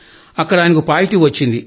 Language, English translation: Telugu, It turned out positive